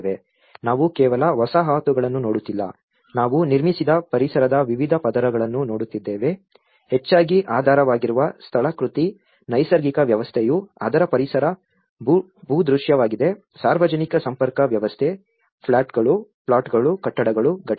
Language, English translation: Kannada, We are not just looking at a settlement, we are also looking at the different layers of the built environment the mostly the underlying topography, the natural system which is an ecological landscape of it the public linkage system, the plots, the buildings, the components